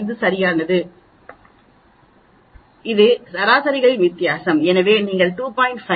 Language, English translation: Tamil, 5 right that is the difference in the averages, so you divide 2